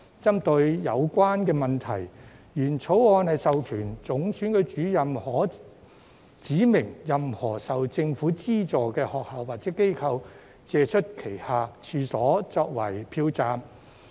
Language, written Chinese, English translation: Cantonese, 針對有關問題，原來的《條例草案》授權總選舉主任可指明任何受政府資助的學校或機構，借出旗下處所作為票站。, To address the problem the original Bill empowers the Chief Electoral Officer to require schools and organizations receiving grants from the Government to make available their premises for use as polling stations